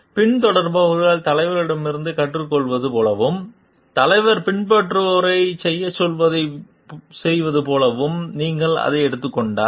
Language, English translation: Tamil, If you are taking it in the sense like the followers learns from the leaders and does what the leader tells the follower to do